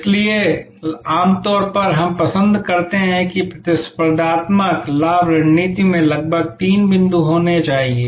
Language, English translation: Hindi, So, normally we prefer that a competitive advantage strategy should have about three points